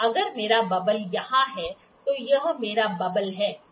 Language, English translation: Hindi, If my bubble is here, this is my bubble, ok